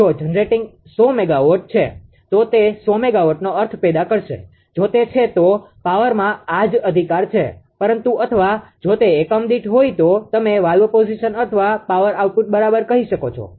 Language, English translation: Gujarati, If the generating is 100 megawatt it will generate 100 megawatt meaning is like this right ah in if it is in power, but or in if it is in per unit you can say valve position or power output right